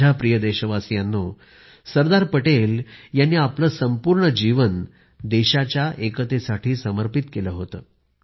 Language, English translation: Marathi, Sardar Patel devoted his entire life for the unity of the country